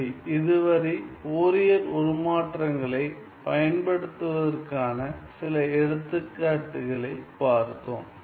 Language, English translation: Tamil, Ok, so far we have seen some examples of the use of Fourier transforms